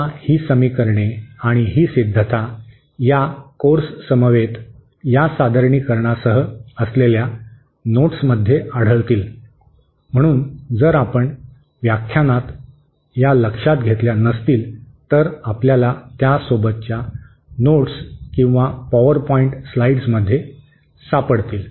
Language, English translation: Marathi, Now these equations and these derivations will be found in the in the notes accompanying this presentation, accompanying this course, so in case you have missed these in the lectures, you will be able to find it in the accompanying notes or PPT slides